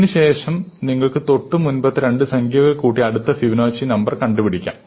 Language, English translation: Malayalam, After this you get the next Fibonacci number adding the previous two